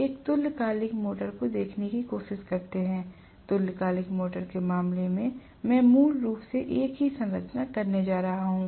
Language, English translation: Hindi, Let us try to look at the synchronous motor, in the case of a synchronous motor; I am going to have basically the same structure